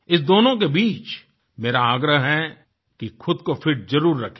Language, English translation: Hindi, Betwixt these two I urge you to try & keep fit